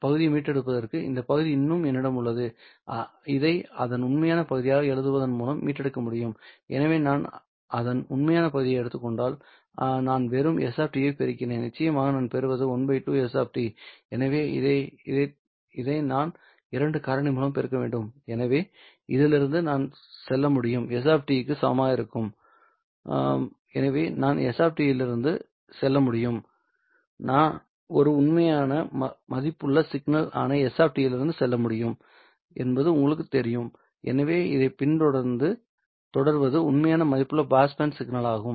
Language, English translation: Tamil, this part can be recovered by writing this as the real part of it right so if I take the real part of it I simply obtain s of t of course I what I will obtain is half s of t so therefore I need to multiply this one by a factor of two so I can go from this would be equal to s of t so I can go from s of t itself So, I can go from S of T itself, you know, I can go from S of T itself which is a real valued signal